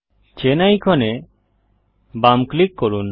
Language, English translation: Bengali, Left click the chain icon